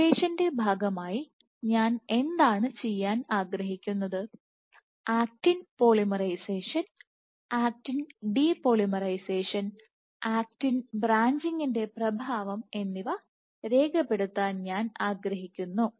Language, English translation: Malayalam, Imagine, so, as part of the simulation what do I want to do I want to capture the effect of actin polymerization, actin depolymerization, actin branching